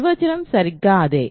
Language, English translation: Telugu, So, and the definition is exactly the same